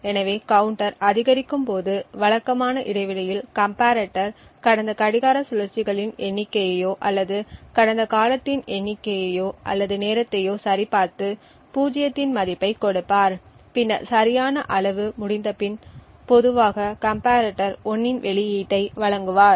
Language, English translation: Tamil, So this means that at regular intervals as the counter is incremented the comparator would check the number of clock cycles that elapsed or the number or amount of time that elapse and typically would give a value of zero after right amount of period has elapsed the comparator would provide an output of 1